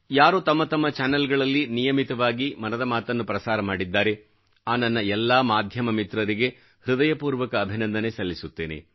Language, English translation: Kannada, I sincerely thank from the core of my heart my friends in the media who regularly telecast Mann Ki Baat on their channels